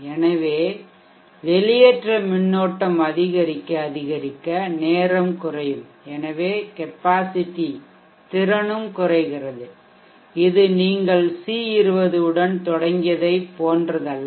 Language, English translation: Tamil, So as you start going higher id discharge current, lesser and lesser time results and therefore the capacity also reduces it is not same as what you started of with the C20